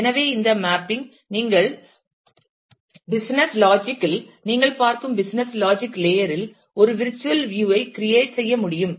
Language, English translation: Tamil, So, so this mapping itself we could create a virtual view in the business logic layer, in the business logic language that you are looking at